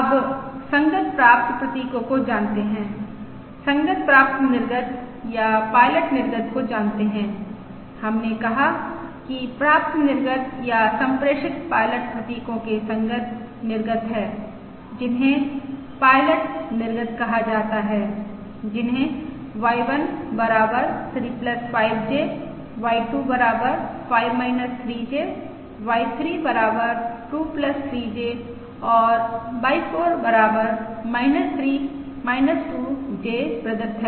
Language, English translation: Hindi, we said the received outputs or the outputs corresponding to the transmitted pilot symbols, which are also known as a pilot outputs, are given as: Y1 equals 3plus 5J, Y2 equals minus5 minus 3J, Y3 equals 2plus 3J and Y4 equals minus3 minus 2J